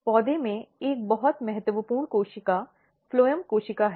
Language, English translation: Hindi, One very important cell in the plant is phloem cell